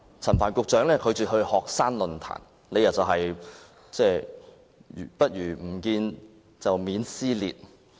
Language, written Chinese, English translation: Cantonese, 陳帆局長拒絕出席學生論壇，理由是"不如不見，避免撕裂"。, Secretary Frank CHAN refused to attend the student forum because it would be better not to meet with students to avoid dissension